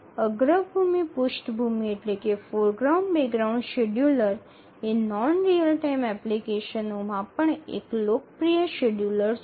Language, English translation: Gujarati, The foreground background scheduler is a popular scheduler even in non real time applications